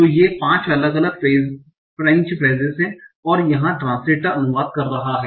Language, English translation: Hindi, So they are five different French phrases where the translator is translating